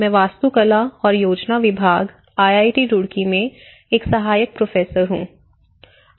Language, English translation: Hindi, My name is Ram Sateesh, an assistant professor in Department of Architecture and Planning, IIT Roorkee